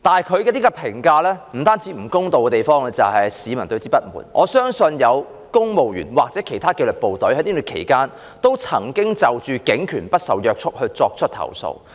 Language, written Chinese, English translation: Cantonese, 她這項評價不公道，不單引起市民不滿，我相信亦有公務員或其他紀律部隊曾在這段期間就警權不受約束作出投訴。, Her aforesaid unfair remarks have not only aroused discontent among the people but have also prompted I believe complaints from civil servants or other disciplined services about police powers getting out of hand during this period